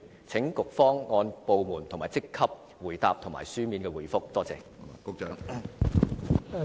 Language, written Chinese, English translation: Cantonese, 請局方按部門和職級來回答，並以書面方式答覆。, Will the Policy Bureau provide the figures by department and rank in written form please